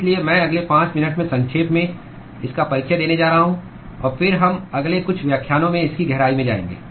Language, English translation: Hindi, So, I will be going to briefly give introduction to that in the next 5 minutes or so; and then we will go deep into it in the next few lectures